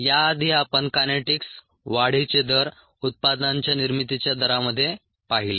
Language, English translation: Marathi, earlier we looked at the kinetics, the rates ah, of ah growth in the rates of products formation